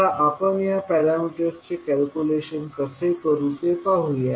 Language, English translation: Marathi, Now, let us see how we will calculate these parameters